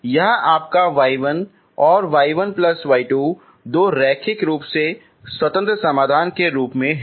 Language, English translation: Hindi, This is your y 1 and y 1 plus y 2 as two linearly independent solutions